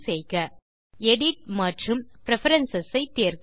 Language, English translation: Tamil, From the Main menu, select Edit and Preferences